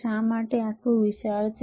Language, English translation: Gujarati, Why it is so bulky